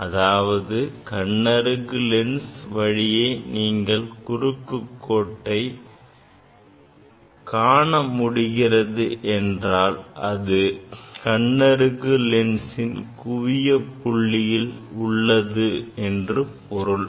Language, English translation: Tamil, So; that means, you are seeing the image of the cross wire through the eyepiece lens; that means, it is at the focal point of the eyepiece lens